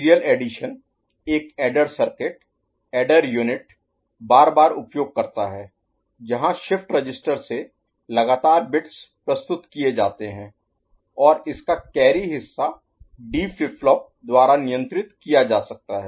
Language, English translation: Hindi, Serial addition uses an adder circuit adder unit successively where consecutive bits are presented from shift register and the carry part of it can be handled by a D flip flop